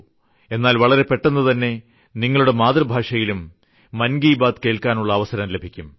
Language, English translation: Malayalam, But very soon, you would get the opportunity to listen to Mann Ki Baat in your mother tongue